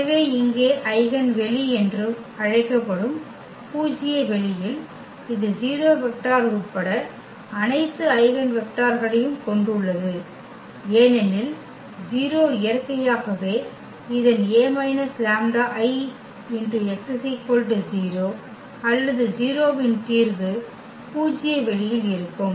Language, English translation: Tamil, So, here in the null space which is also called the eigenspace, it contains all eigenvectors including 0 vector because 0 is naturally the solution of this A minus lambda I x is equal to 0 or 0 will be there in the null space